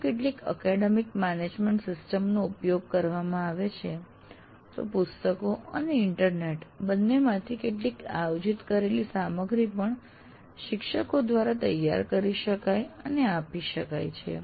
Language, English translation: Gujarati, And these days if you are using some academic management system, some curated material both from books and internet can also be prepared by teacher and made available